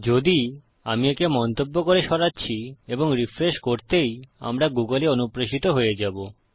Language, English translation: Bengali, If I get rid of this by commenting it, and I were to refresh then we would be redirected to google